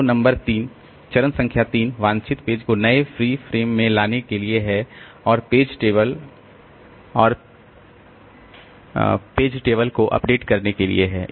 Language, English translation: Hindi, So, number three, step number three is to bring the desired page into the newly free frame and update the page table and frame table